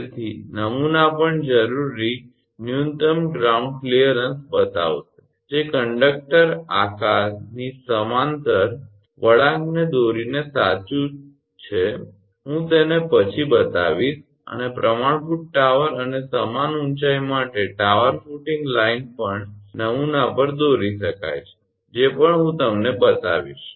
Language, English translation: Gujarati, So, template will also show the required minimum ground clearance that is true by plotting a curve parallel to the conductor shape curve I will show it later and for the standard tower and same height the tower footing line can also be plotted on the template that also I will show you